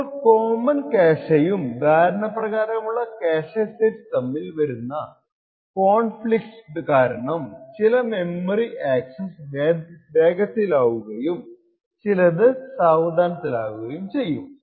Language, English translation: Malayalam, Now due to the conflicts that arise due to the common cache and the agreed upon cache sets, the conflicts may actually cause certain memory accesses to be faster and certain memory access to be slower